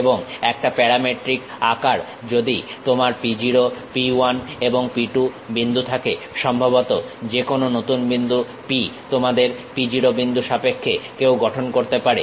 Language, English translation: Bengali, And, a parametric form if you have point P0, P 1 and P 2 any new point perhaps P one can construct in terms of your P0 point